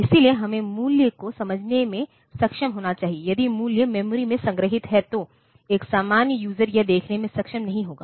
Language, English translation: Hindi, So, if the value is stored in the memory then a general user will not be able to see that